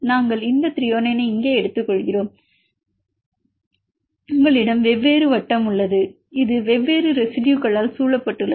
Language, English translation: Tamil, We take these Thr there here you have the different circle this is surrounded with different residues